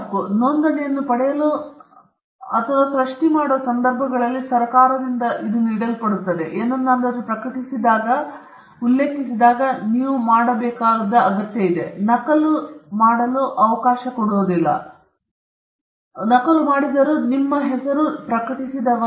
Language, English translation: Kannada, It is conferred by the government in cases where you seek a registration or upon creation I have mentioned this before, if you are publishing something, all you need to do is put the copy right notice, which is the C within a circle, your name, and the year on which it was published